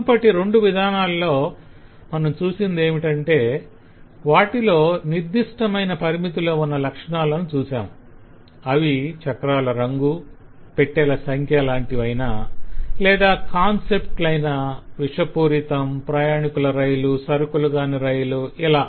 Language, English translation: Telugu, in the earlier two we had either had clear bounded properties like colour of the wheel, like number of bogies, or concepts like toxicity, like being a passenger train or a goods train